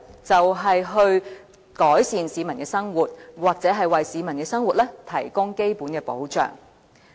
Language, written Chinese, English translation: Cantonese, 就是改善市民的生活或為市民的生活提供基本保障。, The purpose is to improve peoples livelihood or to provide them with basic livelihood protection